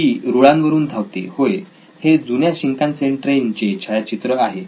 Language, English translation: Marathi, It runs on tracks yes and this is the picture of an oldish Shinkansen train